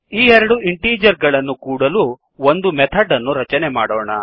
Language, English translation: Kannada, Let us create a method to add these two integers